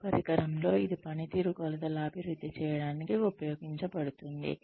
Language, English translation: Telugu, In this instrument, it is used to develop, performance dimensions